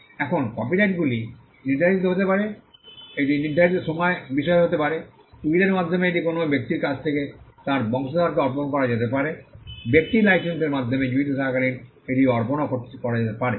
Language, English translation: Bengali, Now, copyrights can be assigned it can be a subject matter of assignment, it can be assigned through the will from a person to his offspring’s it can also be assigned while the person is alive by way of licences